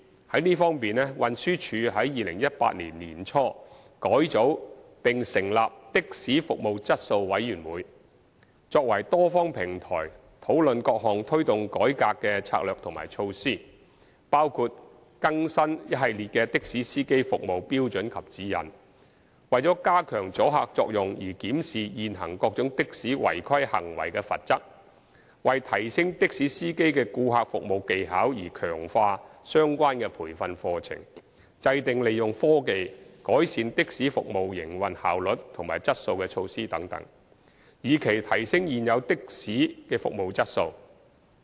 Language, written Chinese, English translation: Cantonese, 就這方面，運輸署在2018年年初改組並成立的士服務質素委員會，作為多方平台，討論各項推動改革的策略及措施，包括更新一系列的士司機服務標準及指引、為加強阻嚇作用而檢視現行各種的士違規行為的罰則、為提升的士司機的顧客服務技巧而強化相關培訓課程、制訂利用科技改善的士服務營運效率和質素的措施等，以期提升現有的士的服務質素。, In this connection TD carried out a revamp and established the Committee on Taxi Service Quality in early 2018 . The Committee serves as a multi - party platform to discuss strategies and measures to drive changes which include updating the set of service standards and guidelines for taxi drivers reviewing the existing sanctions for various taxi malpractices to increase the deterrent effect enhancing training courses for taxi drivers to improve their customer service skills and introducing measures to improve the operational efficiency and quality of taxi services through the use of technology with a view to enhancing the service quality of existing taxis